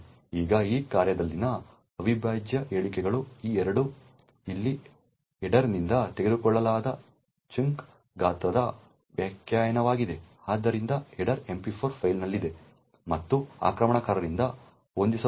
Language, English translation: Kannada, Now the integral statements in this function over here are these 2 here it is definition of chunk size which is taken from the header, so the header is present in the MP4 file and could be set by the attacker